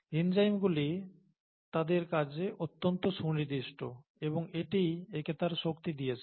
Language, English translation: Bengali, Enzymes can be highly specific in their action, and that’s what gives it its power